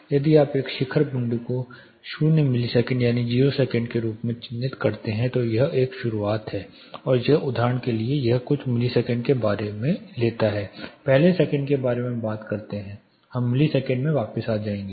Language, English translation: Hindi, If you mark this peak point as 00 milliseconds that is 0 seconds this is a start of the thing and this for a example it takes about a few milliseconds let us talk about seconds first we will come back to milliseconds later